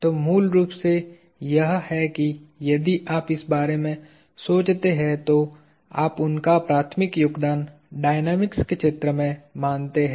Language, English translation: Hindi, So, this is basically, if you think of it his primary contribution to the field of dynamics